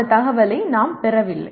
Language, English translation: Tamil, We do not receive that information